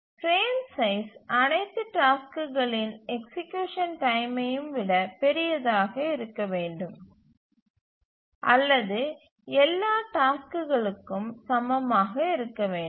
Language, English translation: Tamil, So the frame size must be larger than the execution time of all tasks, greater than equal to all tasks, and also it has to satisfy the other conditions